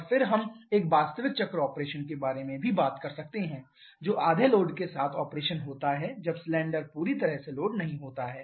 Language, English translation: Hindi, And then we can also talk about an actual cycle operation that is operation with half load when the cylinder is not fully loaded